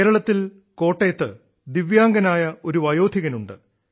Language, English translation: Malayalam, In Kottayam of Kerala there is an elderly divyang, N